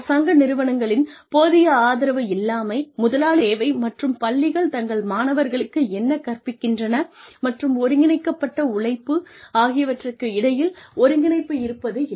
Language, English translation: Tamil, Lack of adequate support from government agencies, lack of coordination between, what employers need, and what schools teach their students, and organized labor